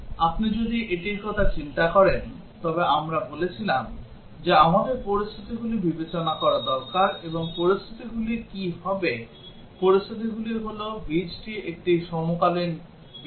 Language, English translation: Bengali, If you think of it, we said that we need to consider the scenarios and what would be scenarios; the scenarios would be that the root is a coincident root